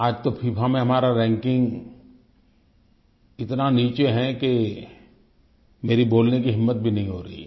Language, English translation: Hindi, Today our ranking in FIFA is so low that I feel reluctant even to mention it